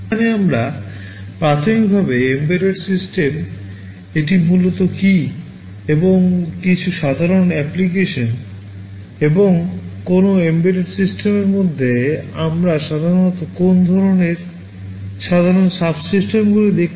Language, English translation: Bengali, Here we shall be primarily talking about embedded systems, what it is basically and some typical applications, and inside an embedded systems what kind of typical subsystems we normally get to see